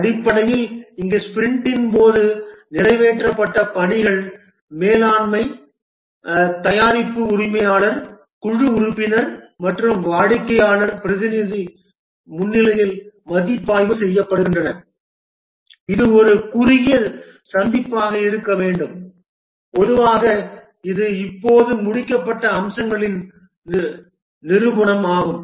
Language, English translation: Tamil, Basically here the work that was accomplished during the sprint are reviewed in presence of the management, the product owner, the team member and also customer representative intended to be a very short meeting and typically it's a demonstration of the features that have been just completed